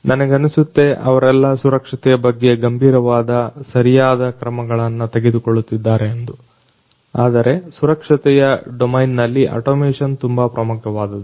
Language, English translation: Kannada, And I am sure they are also taking care of safety in a very serious manner, but you know automation in the safety domain is very important